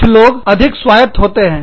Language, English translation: Hindi, Some people, are more autonomous